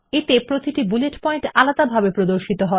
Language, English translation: Bengali, This choice displays each bullet point separately